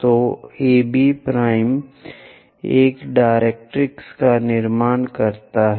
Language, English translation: Hindi, So, let us construct AB dash a directrix